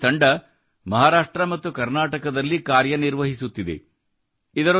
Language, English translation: Kannada, Today this team is working in Maharashtra and Karnataka